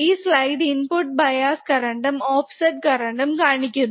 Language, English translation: Malayalam, So, the slide shows input bias and offset current